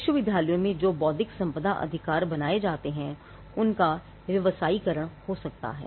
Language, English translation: Hindi, The intellectual property rights that are created in the universities could be commercialized